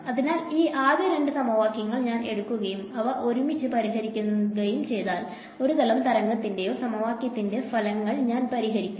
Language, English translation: Malayalam, So, we will do this again later on in the course if I take these first two equations and I solve them together outcomes the equation of a plane wave or a wave